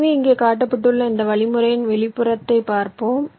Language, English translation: Tamil, so let us look into the outline of this algorithm which has been shown here